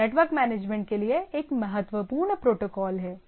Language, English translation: Hindi, So, there is a important protocol for network management